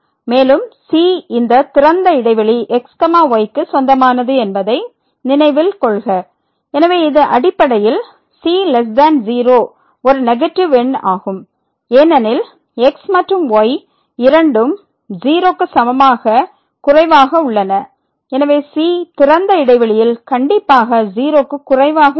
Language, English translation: Tamil, And, note that the belongs to this open interval, so, it is basically a negative number the is less than because and both are less than equal to and therefore, the will be strictly less than in the open interval